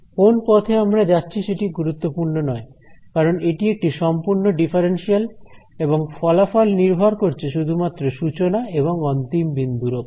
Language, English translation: Bengali, It did not matter which path I took because this is a complete differential over here, the result depends only on the final point and the initial point